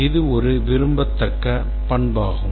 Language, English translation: Tamil, This is a desirable characteristic